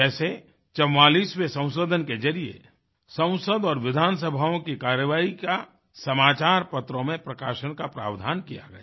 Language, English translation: Hindi, The 44th amendment, made it mandatory that the proceedings of Parliament and Legislative Assemblies were made public through the newspapers